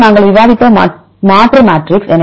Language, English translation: Tamil, Then substitution matrix we discussed